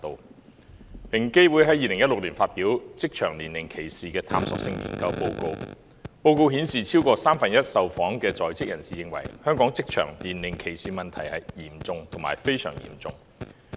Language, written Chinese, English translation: Cantonese, 平等機會委員會在2016年發表《職場年齡歧視的探索性研究》報告，報告顯示超過三分之一受訪在職人士認為，香港職場年齡歧視的問題是"嚴重"及"非常嚴重"。, The Equal Opportunities Commission EOC published the report Exploratory Study on Age Discrimination in Employment in 2016 . According to the report over one third of the employed respondents perceived the problem of age discrimination in the workplace in Hong Kong as serious and very serious